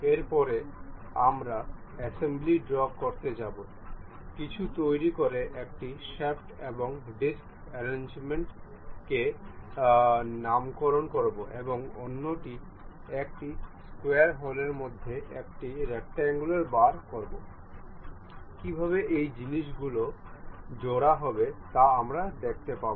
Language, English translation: Bengali, Thereafter, we will go with assembly drawings, constructing something named a shaft and disc arrangement, and other one is a rectangular bar fit in a square hole, how to assemble these things we will see it